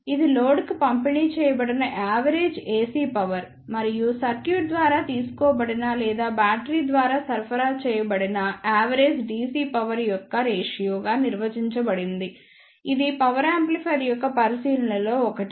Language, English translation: Telugu, It is defined as the ratio of the average AC power delivered to the load to the average DC power drawn by the circuit or supplied by the battery, the since one of the consideration of the power amplifier